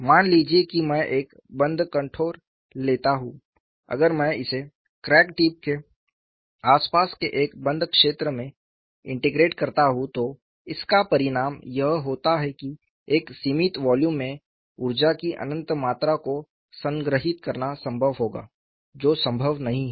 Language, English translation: Hindi, Suppose I take a closed contour, if I integrate it over a closed region surrounding the crack tip, this results in the observation that it would be possible to store an infinite amount of energy in a finite volume, which is not possible